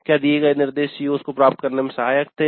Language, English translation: Hindi, Instruction was helpful in attaining the COs